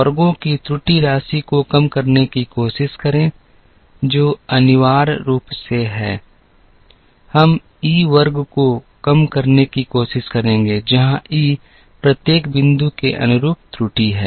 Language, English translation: Hindi, Try to minimize the error sum of squares, which is essentially, we will try to minimize e square, where e is the error corresponding to each point